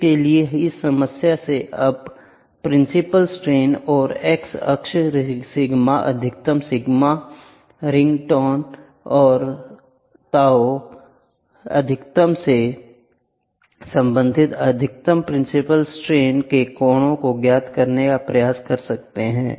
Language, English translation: Hindi, For this, from this problem you can try to determine the principal stresses and the angle of maximum principal stress related to the x axis sigma max sigma min tau max